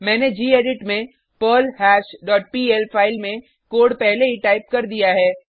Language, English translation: Hindi, I have already typed the code in perlHash dot pl file in gedit